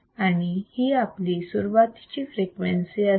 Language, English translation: Marathi, So, let us find the frequency all right